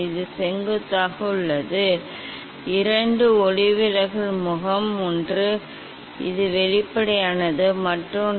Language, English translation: Tamil, this is the perpendicular to the; two refracting face one is transparent this one and the other one